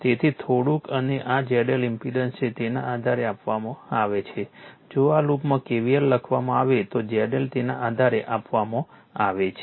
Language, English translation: Gujarati, So, little bit and this is Z L impedance Z L is given based on that if you write in the first in this in this loop if you write your KVL